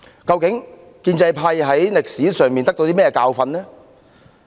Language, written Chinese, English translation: Cantonese, 究竟建制派從歷史中汲取了甚麼教訓呢？, What lessons has the pro - establishment camp learned from history?